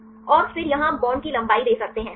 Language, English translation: Hindi, And then here you can give the bond length right